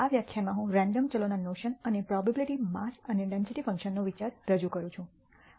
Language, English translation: Gujarati, In this lecture, I am going to introduce the notion of random variables and the idea of probability mass and density functions